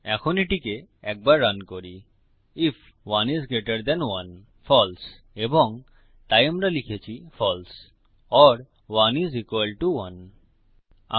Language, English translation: Bengali, Now lets run through this once if 1 is greater than 1 false and so we have written false or 1 is equal to 1..